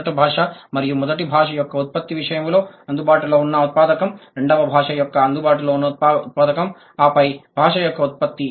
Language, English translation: Telugu, The available input in case of first language and the production of the first language, the available input of the second language and then the production of the language